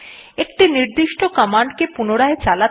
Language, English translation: Bengali, In order to repeat a particular command